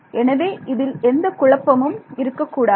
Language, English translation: Tamil, So, there should be no confusion about this ok